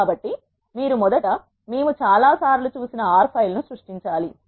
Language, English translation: Telugu, So, you need to first create an R file which we have seen several times